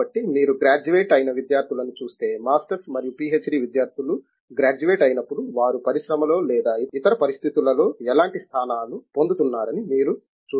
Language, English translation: Telugu, So, if you look at the students that graduate, I mean let’s say masters and PhD students when they graduate, what sort of positions do you see them getting in industry or any other circumstances